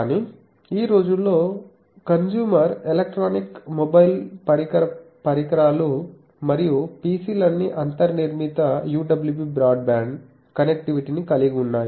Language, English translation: Telugu, But, nowadays in consumer electronics mobile device devices and PCs all have UWB broadband connectivity built in